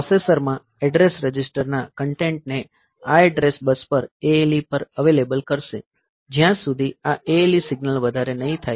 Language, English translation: Gujarati, So, that the processor will keep the content of this address register available on the ALE on this address bus, till this ALE signal is high